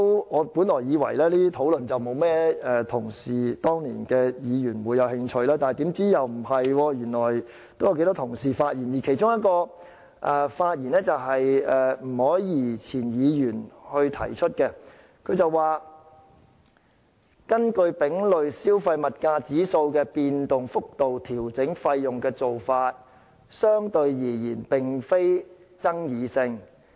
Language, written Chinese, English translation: Cantonese, 我本來以為當年沒有甚麼議員會對此感興趣，豈料不是，原來有頗多議員曾發表意見，其中一位是前立法會議員吳靄儀，她說"根據丙類消費物價指數的變動幅度調整費用的做法，相對而言並非爭議性。, I initially thought not many Members would be interested in the matter at that time but on the contrary quite a number of them expressed views . One of them was former Member Miss Margaret NG who said the adjustment of fees according to the movements of the CPIC was relatively non - controversial